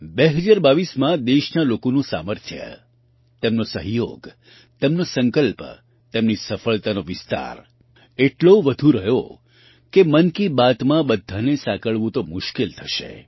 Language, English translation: Gujarati, In 2022, the strength of the people of the country, their cooperation, their resolve, their expansion of success was of such magnitude that it would be difficult to include all of those in 'Mann Ki Baat'